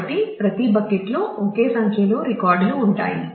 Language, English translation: Telugu, So, every bucket will have same number of records things will be balanced